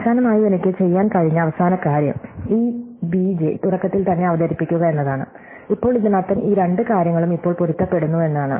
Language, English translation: Malayalam, And finally, the last thing which I could have done is to introduce that this b j at the beginning, so now, this means that these two things now match up